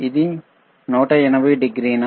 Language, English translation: Telugu, Ist its 180 degree